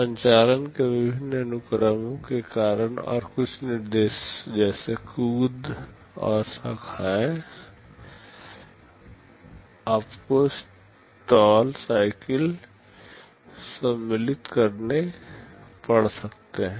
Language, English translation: Hindi, Because of various sequence of operations that are being carried out, and some instructions like jumps and branches you may have to insert stall cycles